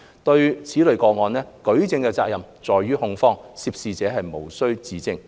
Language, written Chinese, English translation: Cantonese, 就此類個案，舉證的責任在於控方，涉事者無須自證。, For this type of cases the burden of proof falls on the prosecution and the defendant does not have to self - incriminate himself